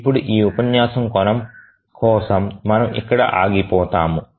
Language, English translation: Telugu, Now for this lecture we will stop here